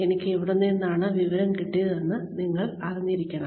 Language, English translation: Malayalam, You should know, where I have got the information from